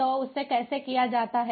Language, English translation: Hindi, so how does it happen